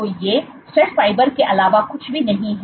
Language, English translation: Hindi, So, these are nothing but stress fibers